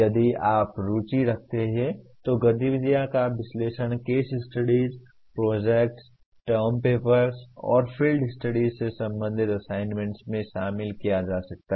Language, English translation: Hindi, If you are interested analyze activities can be included in assignments related to case studies, projects, term papers and field studies